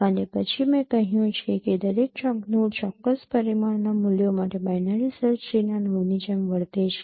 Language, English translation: Gujarati, And then as I mentioned each node behaves like a node of binary search tree for values of a particular dimension